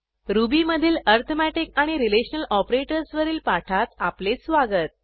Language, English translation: Marathi, Welcome to the Spoken Tutorial on Arithmetic Relational Operators in Ruby